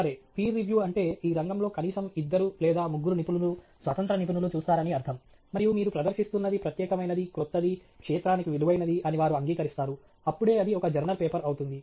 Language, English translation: Telugu, Okay so, peer reviewed means it has been looked at by at least two or three other experts in the field independent experts and they agree that what your presenting is something unique, is something new, is something valuable to the field, and only then it ends up being a journal paper